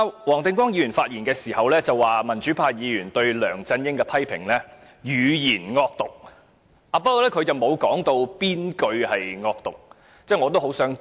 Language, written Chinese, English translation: Cantonese, 黃定光議員昨天發言時說，民主派議員批評梁振英時"語言惡毒"，但他沒有指出哪句話是惡毒的，我很想知道。, Mr WONG Ting - kwong said yesterday that the democrats used vicious language to criticize LEUNG Chun - ying but he had not pointed out which expressions were vicious; I really want to know